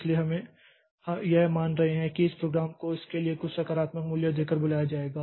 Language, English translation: Hindi, So, we are assuming that this program will be called by giving a giving some positive value to it